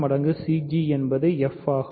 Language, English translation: Tamil, So, h 0 times cg is f